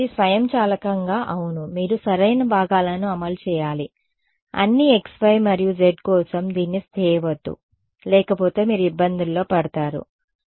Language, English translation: Telugu, It automatically yeah you just have to implement the correct components do not do it for all x y and z otherwise you will be in trouble ok